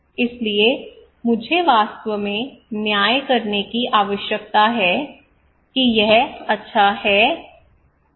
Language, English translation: Hindi, So I really need to judge second that this is good or not